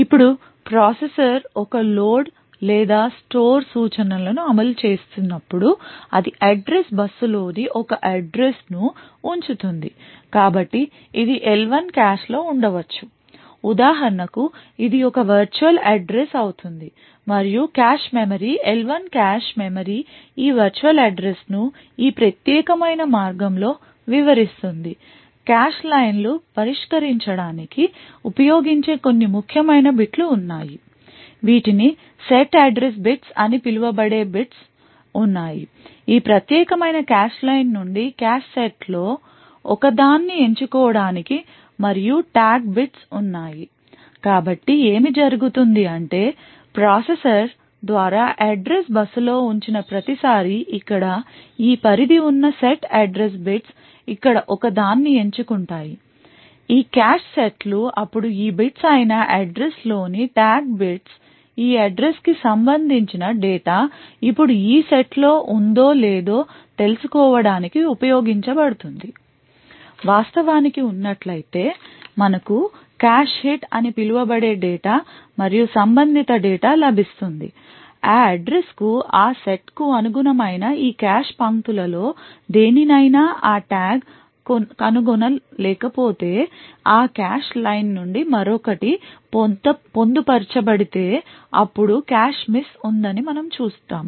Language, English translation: Telugu, or a store instruction it puts out an address on the address bus so this could be in an L1 cache this for example would be an a would be a virtual address and the cache memory the L1 cache memory interprets this virtual address in this particular way, there are a few bits are the most least least significant bits which are used to address a cache line, there are bits which are known as the set address bits which are used to pick one of the cache sets from this particular cache line and, there are the tag bits so what happens is that every time an address is put on the address bus by the processor the set address bits that is this range over here chooses one of these cache sets then the tag bits in the address that is these bits over here is used to determine if the data corresponding to this address is present in this set now if indeed is present we get what is known as a cache hit and the data corresponding to that address is fetched from that corresponding cache line on the other hand if you do not find that tag present in any of these cache lines corresponding to that set then we say that there is a cache miss